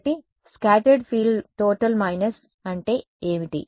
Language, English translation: Telugu, So, what is scattered field total minus